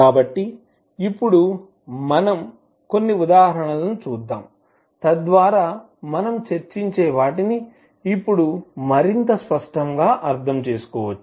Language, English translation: Telugu, So Nnow let’ us see few of the example, so that we can understand what we discuss till now more clearly